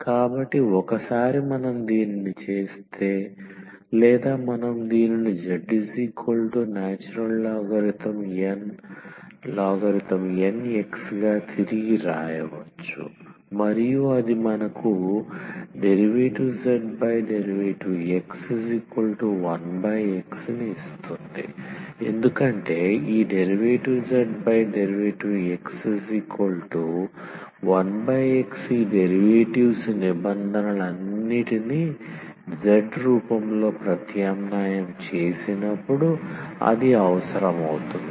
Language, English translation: Telugu, So, once we do this one or we can rewrite this as z is equal to ln x and that gives us that dz over dx because that will be required when we substitute all these derivatives terms in the form of z so, this dz over dx will be one over x